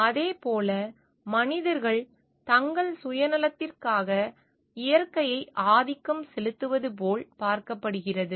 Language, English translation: Tamil, Similarly, it has been seen like the nature is getting dominated by human beings for the use for their self interest